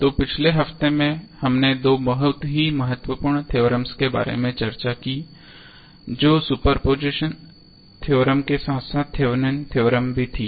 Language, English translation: Hindi, So, in the last week we discussed about two very important theorems those were superposition theorem as well as Thevenin's theorem